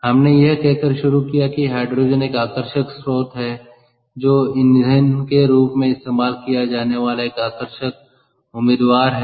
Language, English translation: Hindi, we started by saying that hydrogen is an attractive source ah of is an attractive ah candidate to be used as fuel